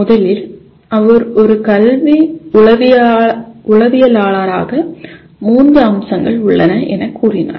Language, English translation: Tamil, And what he has, first he said as an educational psychologist, there are three aspects